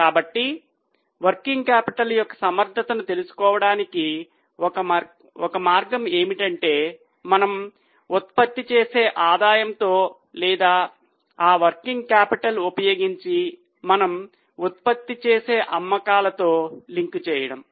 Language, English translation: Telugu, So, one way to know the adequacy of working capital is to link it to the revenue which we generate or the sales which we generate using that working capital